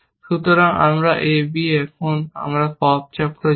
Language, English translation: Bengali, So, we have on a b, now, and we go to the pop cycle